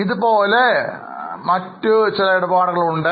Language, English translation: Malayalam, Like that, there can be more transactions